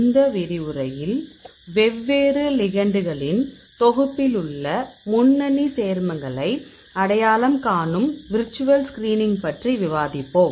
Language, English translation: Tamil, In this lecture, we will discuss about the virtual screening of compounds to identify lead compounds from your pool of different ligands